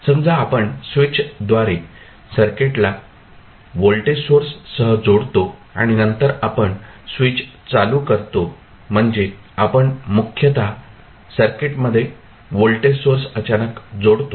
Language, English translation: Marathi, So, you suppose you are connecting the circuit with the voltage source through a particular switch and then you switch on the switch means you are basically adding the voltage source suddenly to the circuit